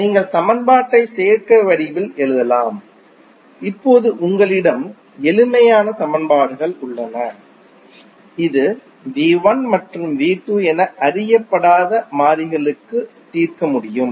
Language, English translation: Tamil, You can simply write the equation in the form of admittances and the now you have simpler equations you can solve it for unknown variables which are V 1 and V 2